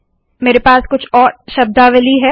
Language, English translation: Hindi, I have a few more terms here